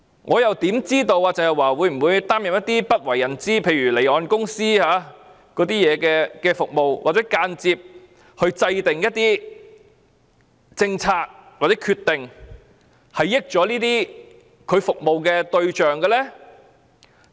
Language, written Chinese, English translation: Cantonese, 我又怎知道鄭若驊會否擔任一些不為人知，例如為離岸公司提供的服務，或間接制訂一些政策或決定，讓她服務的對象得益？, How do I know if Teresa CHENG might have taken unknown tasks such as providing services to offshore companies or indirectly formulating policies or decisions to benefit those she serves?